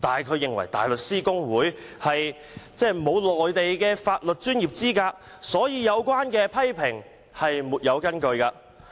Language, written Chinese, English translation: Cantonese, 他認為大律師公會沒有內地法律專業資格，所以有關批評沒有根據。, He considered HKBA without Mainland legal professional qualifications and so such criticisms are unfounded